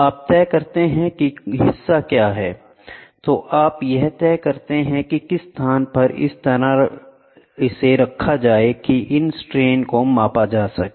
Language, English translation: Hindi, You decide what the member is on, then you decide where the location to be placed such that these strains can be measured